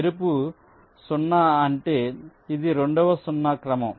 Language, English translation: Telugu, a red zero means this is the second zero in sequence